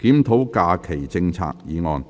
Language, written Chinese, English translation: Cantonese, "檢討假期政策"議案。, Motion on Reviewing the holiday policy